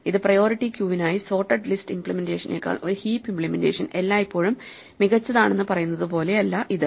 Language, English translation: Malayalam, It is not like saying that a heap implementation is always better than a sorted list implementation for a priority queue